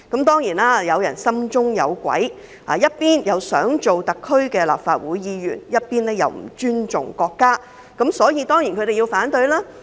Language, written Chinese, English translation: Cantonese, 當然，有人心中有鬼，一方面想做特區立法會議員，另一方面又不尊重國家，所以他們才要反對《條例草案》。, Of course some people have a bad conscience . On the one hand they want to be Members of the Legislative Council of the Special Administrative Region but on the other hand they oppose the Bill out of their disrespect for the country